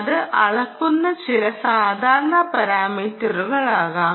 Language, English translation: Malayalam, it could be some typical some parameter that it is measuring